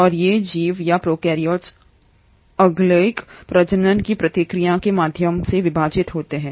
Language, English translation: Hindi, And, these organisms or prokaryotes divide through the process of asexual reproduction